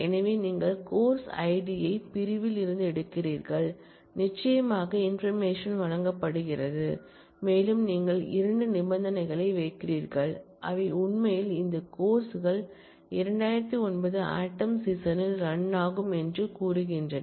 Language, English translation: Tamil, So, you are taking out the course id from section is where, the course running information is provided and you part putting 2 conditions, which say that they actually this courses ran in fall 2009